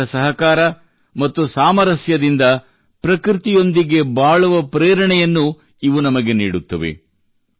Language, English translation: Kannada, They inspire us to live in harmony with each other and with nature